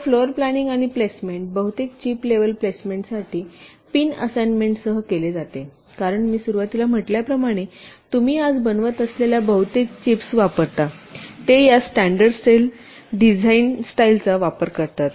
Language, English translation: Marathi, so floor planning and placement are carried out with pin assignment for most of the chip level placement because, as i said in the beginning, most of the chips that you manufacture